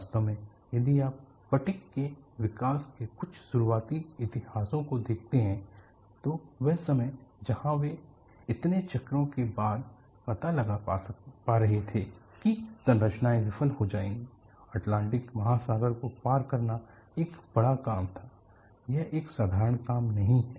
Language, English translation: Hindi, In fact, if you look at some of the early history on fatigue development,that is the time where they were finding out after so many cycles, the structures will fail; crossing the Atlantic Ocean was a big task; it is not a simple task